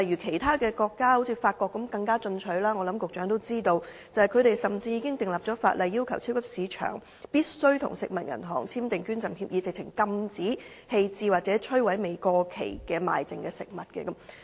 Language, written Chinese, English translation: Cantonese, 其他國家例如法國更為進取，我想局長也知道，法國甚至已經訂立法例，要求超級市場必須與食物銀行簽訂捐贈協議，禁止棄置或摧毀未過期而賣剩的食物。, Other countries such as France are more aggressive . I reckon that the Secretary knows that France has even enacted legislation to require supermarkets to enter into donation agreements with food banks so as to prohibit the disposal or destruction of surplus foods that have not expired